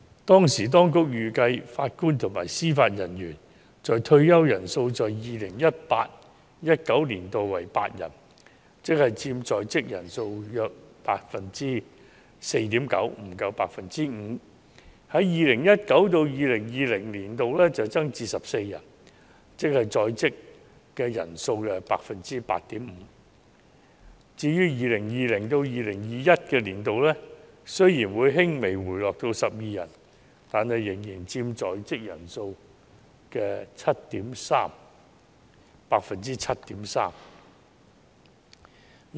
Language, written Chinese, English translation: Cantonese, 當時當局預計，法官及司法人員退休人數在 2018-2019 年度為8人，佔在職人數約 4.9%， 不足 5%； 在 2019-2020 年度會增至14人，佔在職人數 8.5%； 至於 2020-2021 年度，雖然會輕微回落至12人，但仍佔在職人數 7.3%。, At that time the Administration projected that 8 JJOs would retire in the 2018 - 2019 which accounted for about 4.9 % ie . less than 5 % of current strength . The number will increase to 14 in the year 2019 - 2020 accounting for 8.5 % of current strength; as for the year 2020 - 2021 though the number will slightly drop to 12 it still accounts for 7.3 % of current strength